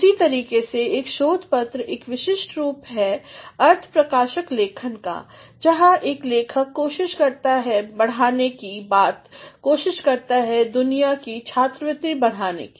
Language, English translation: Hindi, In the same manner, a research paper is a specialized form of expository writing, in which a writer attempts to add, attempts to add to the accumulation of the world’s scholarship